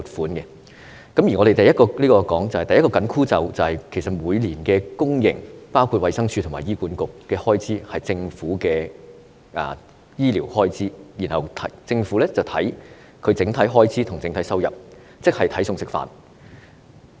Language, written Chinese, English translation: Cantonese, 我們經常說，第一個"緊箍咒"，就是每年的公營服務開支，包括衞生署及醫院管理局的醫療開支，要視乎政府的整體收入，即要"睇餸食飯"。, We always say that the first magic spell is that the annual expenditure on public services including the healthcare expenditure of the Department of Health and the Hospital Authority HA has to depend on the overall revenue of the Government and we really have to spend within our means